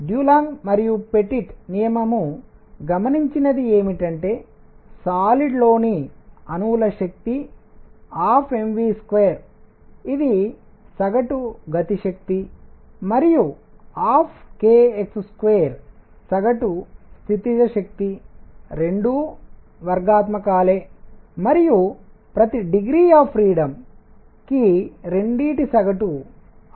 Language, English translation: Telugu, What Dulong and Petit law observed is that for atoms in a solid, energy is 1 half m v square average kinetic energy and 1 half k x square average potential energy both are quadratic and both average R T by 2 R T by 2 for each degree of freedom